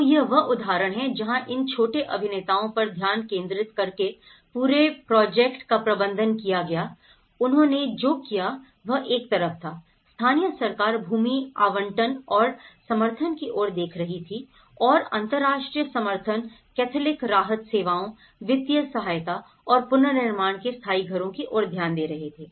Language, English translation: Hindi, So, this is where they focused on these small actors you know, in the whole project management here, what they did was on one side, the local government is looking at the land support and the land allocation and the international support is looking at the Catholic Relief Services financial support and they are looking at the permanent houses of reconstruction